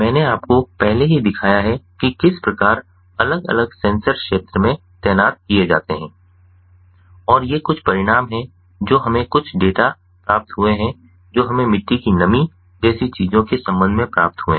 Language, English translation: Hindi, i have already shown you how the different sensors are deployed in the field and these are some of the results that we have received, some of the data that we have received with respect to things such as the soil moisture